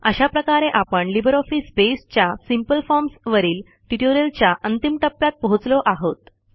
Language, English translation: Marathi, This brings us to the end of this tutorial on Simple Forms in LibreOffice Base